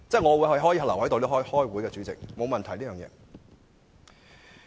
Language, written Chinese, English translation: Cantonese, 我可以留下來開會，我沒有問題。, I can attend Council meetings and have no problem with the arrangement